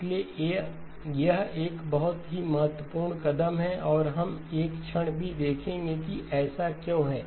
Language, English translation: Hindi, So this is a very important step and we will see in a moment, why it is so